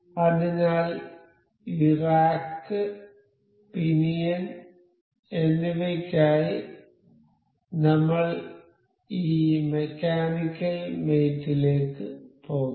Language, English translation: Malayalam, So, for this rack and pinion I will go to this mechanical mate